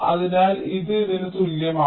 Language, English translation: Malayalam, so this is equivalent to this